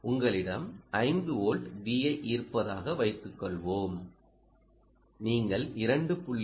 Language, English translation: Tamil, let us say this is five volts and what you are getting here is three volts